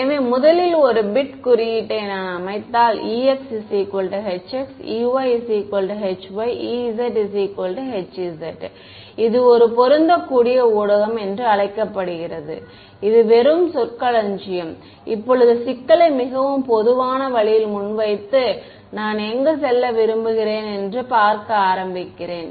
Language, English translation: Tamil, So, first a bit of notation so, if I set e x is equal to h x, e y is equal to h y, and e z is equal to h z, this is called a matched medium it just terminology, having pose the problem in a very general way now, I begin to see where do I want to get to ok